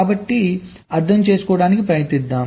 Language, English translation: Telugu, so lets try to understand